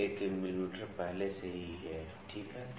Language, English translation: Hindi, So, 1 mm is already there, ok